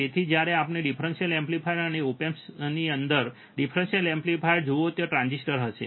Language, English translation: Gujarati, So, when we see differential amplifier op amp and differential amplifier within the op amp there are transistors